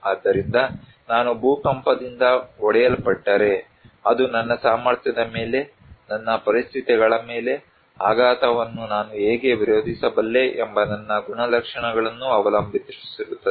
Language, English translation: Kannada, So, if I am hit by an earthquake, it depends on my capacity, on my conditions, my characteristics that how I can resist the shock